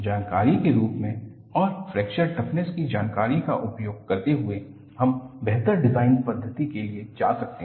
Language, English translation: Hindi, Using that as an information and also the information on fracture toughness, we could go for improved design methodologies